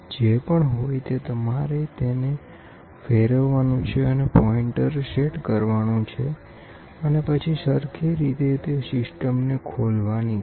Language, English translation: Gujarati, Whatever it is, you try to move and set the pointer and then start opening the same fastening system